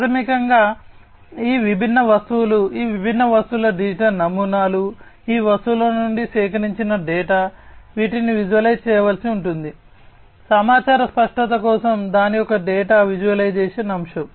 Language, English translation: Telugu, So, basically you know all these different objects, the digital models of these different objects, the data that are procured from these objects, these will have to be visualize, the data visualization aspect of it for information clarity